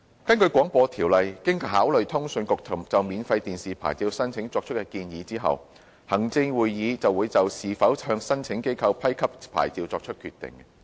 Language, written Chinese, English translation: Cantonese, 根據《廣播條例》，經考慮通訊局就免費電視牌照申請作出建議後，行政長官會同行政會議會就是否向申請機構批給牌照作出決定。, Under the BO the Chief Executive in Council will after considering recommendations made by the CA on a free TV licence application decide whether such a licence should be granted to the applicant